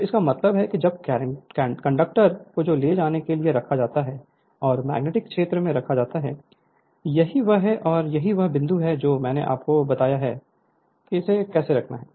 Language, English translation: Hindi, So, that means, when conductors are placed carrying current and placed in the magnetic field this is your that is the plus and this is the dot I told you how it is right